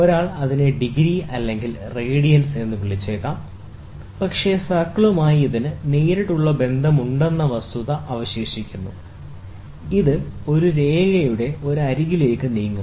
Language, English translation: Malayalam, One may call it as degree or radians, but the fact remains that it has a direct relationship to circle, which is an envelope of a line moving both about one of its edges